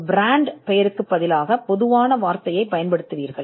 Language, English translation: Tamil, You would use a generic word instead of a brand name